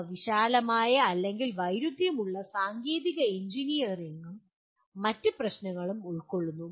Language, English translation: Malayalam, They involve wide ranging or conflicting technical engineering and other issues